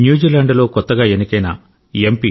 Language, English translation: Telugu, Newly elected MP in New Zealand Dr